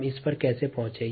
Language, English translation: Hindi, how ah did we get at this